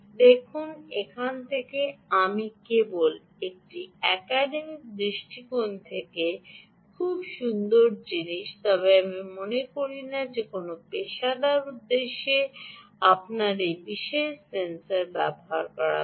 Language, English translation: Bengali, i would say it is a very nice thing from an academic perspective, but i don't think you should ah use this particular pulse sensor for any professional purposes